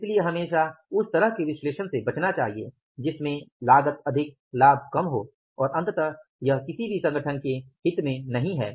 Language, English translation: Hindi, So, always to avoid that kind of analysis which causes more cost, less benefits and ultimately it is not the interest of any organization